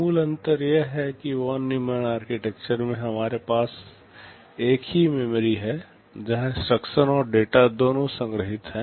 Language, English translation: Hindi, The basic difference is that in the Von Neumann Architecture we have a single memory where both instructions and data are stored